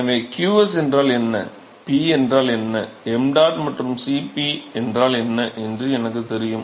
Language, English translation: Tamil, So, I know what qs is, I know what P is, I know what mdot and Cp is